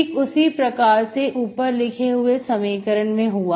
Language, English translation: Hindi, So this is what the above equation becomes